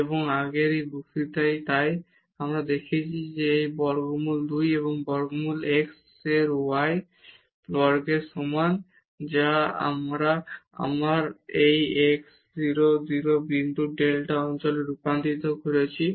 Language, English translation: Bengali, And, in one of the earlier lectures so, we have seen that this here is less than equal to square root 2 and square root x square plus y square which is again we have converted into the delta neighborhood of this 0 0 point